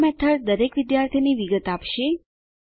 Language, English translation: Gujarati, This method will give the detail of each student